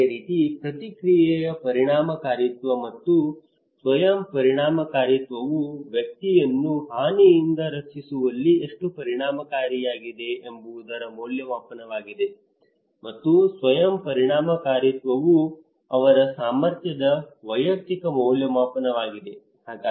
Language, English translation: Kannada, Similarly, response efficacy and self efficacy like response is the evaluation of how effective the behaviour will be in protecting the individual from harm and the self efficacy is the individual evaluation of their capacity to perform the recommended behaviour